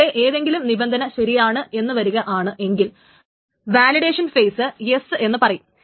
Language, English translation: Malayalam, So if anyone is true, any of this condition is true, then validation phase says yes